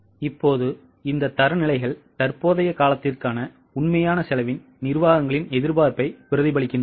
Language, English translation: Tamil, Now these standards reflect the management's anticipation of the actual cost for the current period